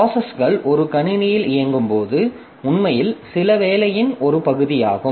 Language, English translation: Tamil, So, processes when they are executing in a system, so they are actually part of some job